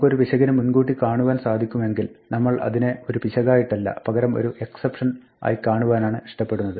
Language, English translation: Malayalam, If we can anticipate an error we would prefer to think of it not as an error, but as an exception